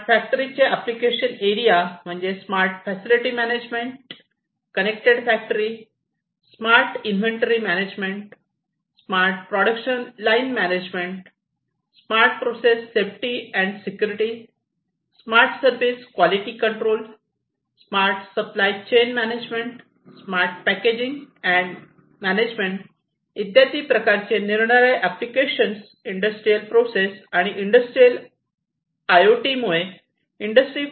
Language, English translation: Marathi, And the different application areas for the smart factories are smart facility management, connected factory, inventory management, so basically smart inventory management, smart production line management, smart process safety and security, smart service quality control, smart supply chain optimization, and smart packaging and management